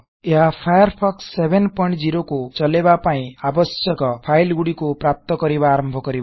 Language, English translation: Odia, This will start extracting the files required to run Firefox 7.0